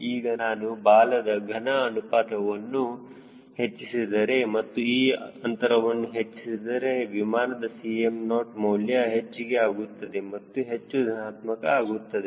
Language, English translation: Kannada, so if i increase tail volume ratio and if i increase this difference, then c m naught the aircraft will become more and more positive